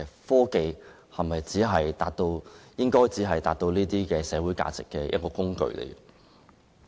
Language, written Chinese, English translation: Cantonese, 科技是否只被視為達致這些社會價值的一個工具呢？, Is technology merely considered as a tool to achieve these social values?